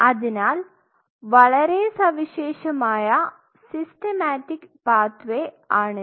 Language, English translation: Malayalam, So, very unique systematic pathway